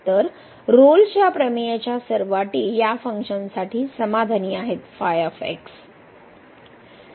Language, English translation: Marathi, So, all the conditions of the Rolle’s theorem are satisfied for this function